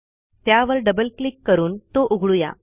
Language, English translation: Marathi, lets open it by double clicking on it